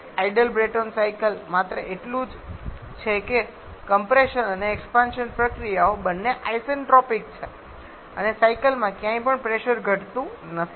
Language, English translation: Gujarati, An ideal Brayton cycle is just this that is both compression and expansion processes are isentropic and there is no pressure drop anywhere in the cycle